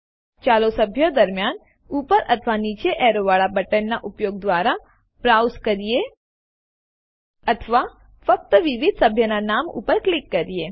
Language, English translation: Gujarati, Let us browse through the members, by either using the up or down arrow keys, Or by simply clicking on the various member names